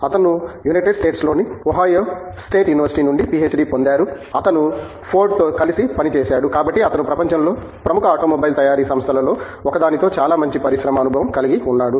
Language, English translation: Telugu, He has a PhD from Ohaio State University in the United States; he has worked with Ford, so he has very good industry experience with one of the leading automobile manufacturing companies in the world